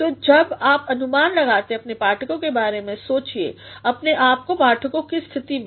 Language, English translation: Hindi, So, when you anticipate about your readers think of yourself being in the position of your readers